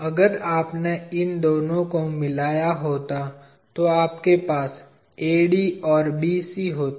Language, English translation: Hindi, Well, if you had joined these two you would had AD as well as BC